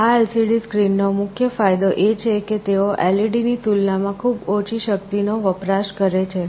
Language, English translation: Gujarati, The main advantage of this LCD screen is that they consume very low power as compared to LEDs